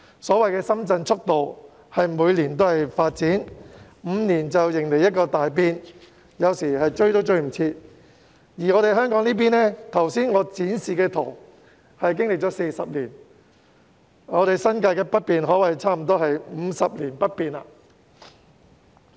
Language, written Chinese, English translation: Cantonese, 所謂的"深圳速度"，是每年皆有發展，每5年迎來一個大變，要追也追不上；反觀香港這邊，從我剛才展示的圖片可見，歷經40年，新界北面可說是幾乎 "50 年不變"。, The so - called Shenzhens speed means it has development every year and then major changes every five years which is hard to catch up with . Conversely from the photo just shown to Members we can see that after 40 years northern New Territories on this side of Hong Kong has basically remained unchanged for 50 years